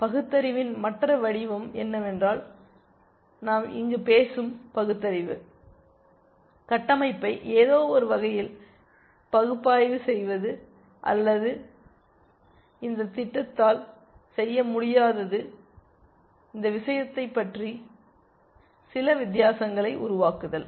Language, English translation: Tamil, The other form of reasoning is that kind of reasoning that we are talking about here know, analyzing the structure in some way or making some difference about this thing which this program is not able to do